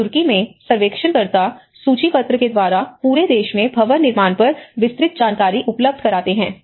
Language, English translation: Hindi, And in Turkey, surveyors catalogue and make available detailed information on building construction throughout the country